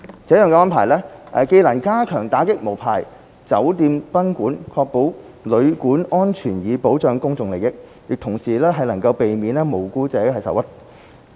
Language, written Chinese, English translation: Cantonese, 這樣的安排，既能加強打擊無牌酒店賓館，確保旅館安全以保障公眾利益，亦同時能避免無辜者受屈。, While this arrangement can step up our efforts in combating unlicensed hotels and guesthouses to ensure safety of hotels and guesthouses for safeguarding public interests it can also avoid doing injustice to the innocent people